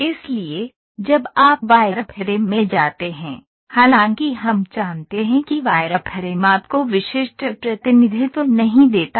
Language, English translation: Hindi, So, when you move to wireframe, though we know wireframe does not give you unique representation